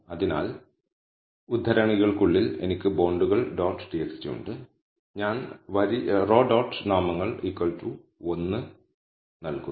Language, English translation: Malayalam, So, within quotes I have bonds dot txt and I am giving row dot names equal to 1